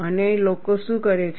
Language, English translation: Gujarati, And what do people do